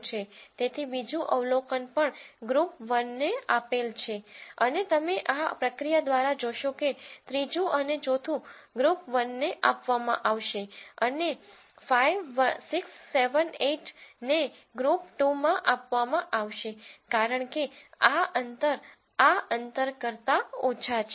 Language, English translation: Gujarati, So, the second observation is also assigned to group 1 and you will notice through this process a third and fourth will be assigned to group 1 and 5 6 7 8 will be assigned to group 2 because these distances are less than these distances